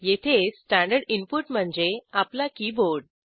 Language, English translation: Marathi, In this case, standard input is our keyboard